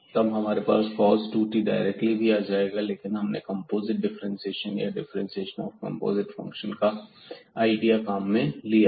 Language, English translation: Hindi, So, we will have this cos 2 t directly as well, but we used here the idea of this composite differentiation or the differentiation of composite function